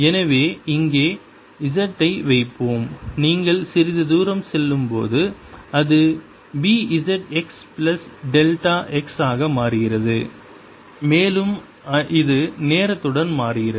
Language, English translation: Tamil, so let's put z here and as you go little farther out, it changes to b, z, x plus delta x, and it also is changing with time